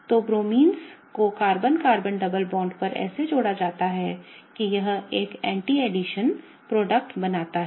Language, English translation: Hindi, The two Bromines are added on the Carbon Carbon double bond such that, this forms an anti addition product, okay